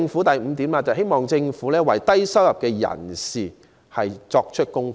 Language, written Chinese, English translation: Cantonese, 第五，我亦希望政府為低收入人士作供款。, Fifth I also hope that the Government can make MPF contributions for the low - income people